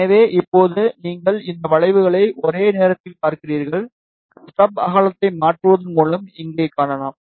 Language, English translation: Tamil, So, now you see these curves simultaneously, you can see here by changing the stub width